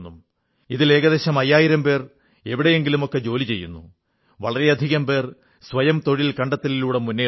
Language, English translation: Malayalam, Out of these, around five thousand people are working somewhere or the other, and many have moved towards selfemployment